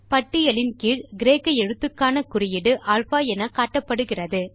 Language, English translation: Tamil, Notice the mark up for the Greek letter as alpha which is displayed below the list